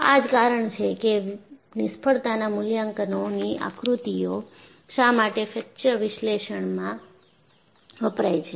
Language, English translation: Gujarati, And, that is the reason, why you have failure assessment diagrams are used in fracture analysis